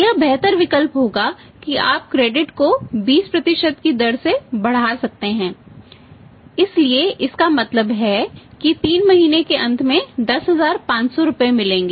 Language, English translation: Hindi, Option would be better option could be that you could have extended the credit 20% by loading 20% so it means at the end of 3 month important got 10500 rupees